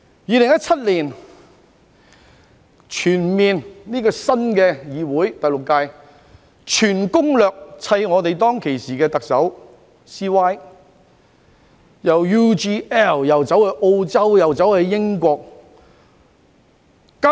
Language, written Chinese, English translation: Cantonese, 2017年，第六屆的議會以全攻略對付當時的特首 "CY"， 為了 UGL 事件既到澳洲又到英國。, In 2017 the sixth legislature attacked the then Chief Executive LEUNG Chun - ying with a full set of tactics and flew all the way to Australia and the United Kingdom for the UGL incident